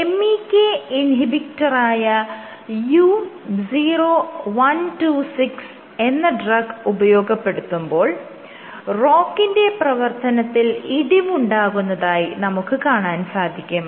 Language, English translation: Malayalam, So, when they treated with this drug called U0126 this is a MEK inhibitor U0126 led to drop, drop in ROCK activity